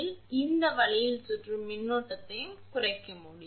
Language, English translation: Tamil, So, these way circulating current can be minimized